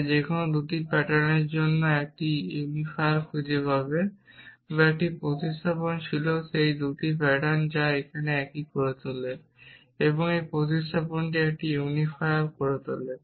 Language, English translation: Bengali, And we want to write a general algorithm which will find a unifier for any 2 patterns or a substitution was those 2 patterns which should make it a same this substitution is called a unifier